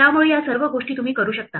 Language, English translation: Marathi, So, all these things you can do